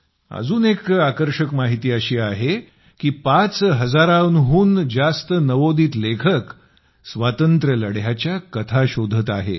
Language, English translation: Marathi, There is another interesting information more than nearly 5000 upcoming writers are searching out tales of struggle for freedom